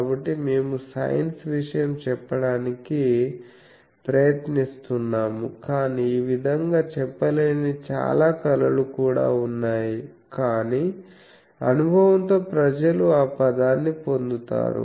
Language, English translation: Telugu, So, we are trying to say the science thing, but there are also a lot of arts which cannot be said like this, but with experience people get those word